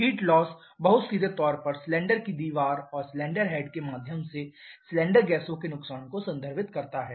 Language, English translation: Hindi, Heat loss very straightforwardly first refers to the loss of cylinder gases through the cylinder wall and cylinder head into the cooling medium